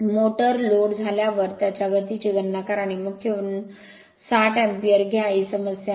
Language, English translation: Marathi, Calculate the speed of the motor when it is loaded and take 60 ampere from the main this is the problem